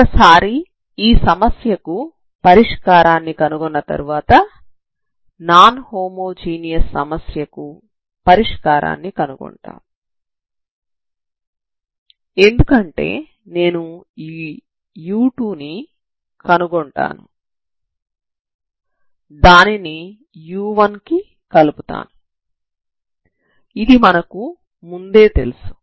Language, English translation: Telugu, Once we find this once we find the solution of this problem then non homogeneous is non homogeneous problem then non homogeneous problem is solved because I take this u2 and I add it with solution of this problem which we already know so that will give you the solution